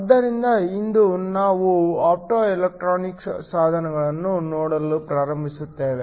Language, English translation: Kannada, So, today we are going to start to look at optoelectronic devices